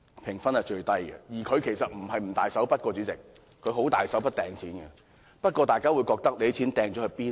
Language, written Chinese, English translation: Cantonese, 主席，財政司司長其實不是不肯"大手筆"花錢，他已經十分"大手筆"的擲錢，不過，大家會想，他的錢擲到哪裏呢？, Chairman we cannot possibly criticize the Financial Secretary for not be generous . He is in fact very generous already . But how does he spend the money?